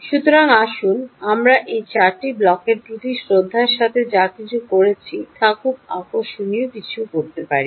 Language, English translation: Bengali, so let's put all of what we did with respect to those four blocks into something very, very interesting